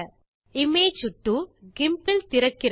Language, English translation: Tamil, Image 2 opens in GIMP